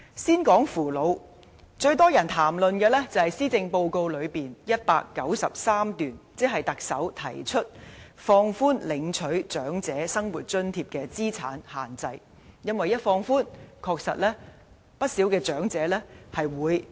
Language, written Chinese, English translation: Cantonese, 先談扶老方面，最多人談論的是施政報告第193段，即放寬領取長者生活津貼的資產上限，因為一旦放寬，確實可讓不少長者受惠。, First I will talk about elderly care . The relaxation of asset limits for the Old Age Living Allowance OALA proposed in paragraph 193 of the Policy Address has aroused heated discussion as many elderly people will benefit from the relaxation